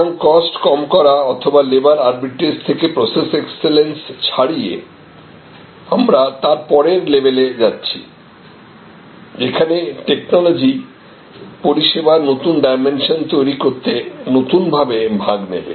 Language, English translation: Bengali, So, from pure cost reduction or labor arbitrage to process excellence to we are going to the next level, where technology will play a new part in creating some new dimension services